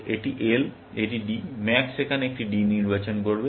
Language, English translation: Bengali, This is L; this is D; the max will choose a D here